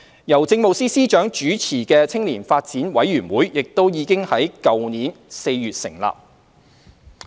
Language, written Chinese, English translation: Cantonese, 由政務司司長主持的青年發展委員會亦已於去年4月成立。, The Youth Development Commission YDC chaired by the Chief Secretary for Administration was established in April last year